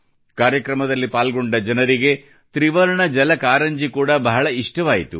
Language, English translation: Kannada, The people participating in the program liked the tricolor water fountain very much